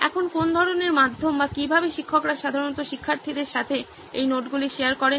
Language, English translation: Bengali, Now, what kind of a medium or how do teachers usually share these notes with students